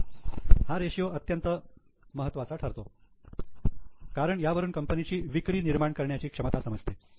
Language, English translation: Marathi, That's why this ratio is very important for the ability of the business to generate the sales